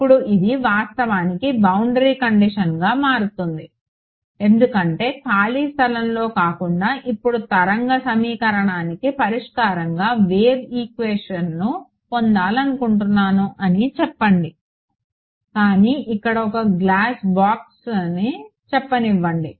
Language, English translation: Telugu, Now this actually turns out to be a boundary condition because let us say that I have I want to get a wave equation the solution to the wave equation now not in free space, but I have a let us say a block of glass over here